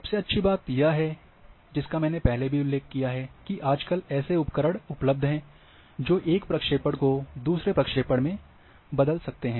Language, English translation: Hindi, The best part I have already mentioned that, it is good that tools nowadays are available to change from one projection to another